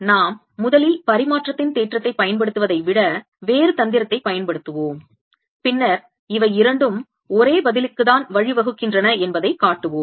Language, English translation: Tamil, let's just first use a different trick, rather than we using reciprocity's theorem, and then we'll show that the two lead to the same answer